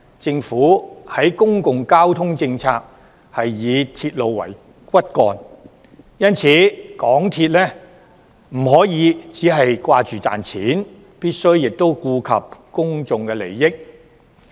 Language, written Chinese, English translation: Cantonese, 政府的公共交通政策是以鐵路為骨幹，因此，港鐵公司不可以只顧賺錢，亦必須顧及公眾利益。, Under the public transport policy of the Government railway is made the backbone . Therefore it is impossible for MTRCL to just focus on making profits as it should also take care of public interests